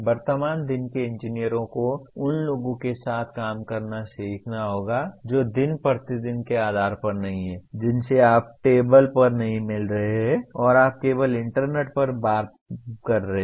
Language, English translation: Hindi, The present day engineers will have to learn to work with people who are not on day to day basis you are not meeting across the table and you are only interacting over the internet